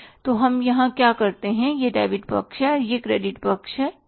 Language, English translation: Hindi, So, what you do here is this is the debit site and this is the credit site, right